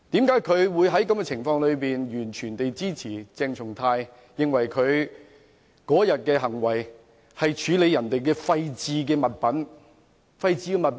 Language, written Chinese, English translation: Cantonese, 為何他會在這種情況下完全支持鄭松泰議員，認為他當天的行為只是處理別人的廢置物品？, Why does he give full support to Dr CHENG Chung - tai under such circumstances thinking that his acts that day only served to dispose of others discarded articles?